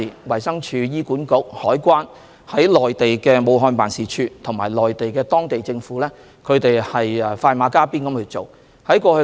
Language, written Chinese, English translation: Cantonese, 衞生署、醫管局、香港海關及駐武漢辦的同事，以及當地政府快馬加鞭，處理港人藥物方面的需求。, Colleagues from DH HA CED and WHETO together with the local authorities have been going full steam ahead to meet Hong Kong peoples demand for medicines